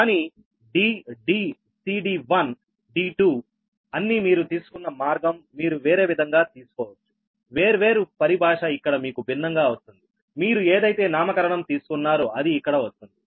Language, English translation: Telugu, but because d, d, c, all these, d one, d two, the way it had been taken, you can take different way, different terminology will come here, different your, that nomenclature, whatever you take, it will come